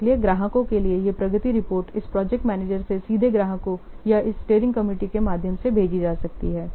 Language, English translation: Hindi, So, these progress report for the clients may be directly sent from this project manager to the clients or via this steering committee